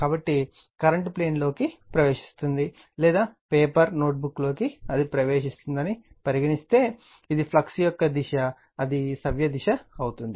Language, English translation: Telugu, So, if I say this current is entering into the plane right or in the paper your notebook say it is entering, then this is the direction of the flux right that is clockwise direction